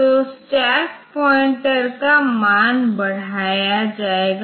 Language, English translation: Hindi, So, stack pointer value will be incremented